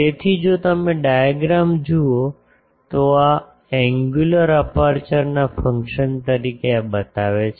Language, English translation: Gujarati, So, if you look at the diagram, this as a function of angular aperture this shows this